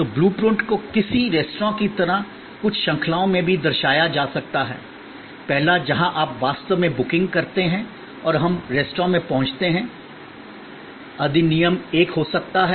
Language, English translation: Hindi, So, blue print can also be represented in some kind of a series of acts like in a restaurant, the first where actually you make the booking and we arrive at the restaurant can be act 1